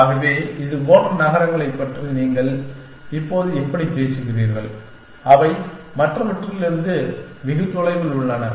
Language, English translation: Tamil, So, I am now how do you talk about cities like this, which are far away from the rest essentially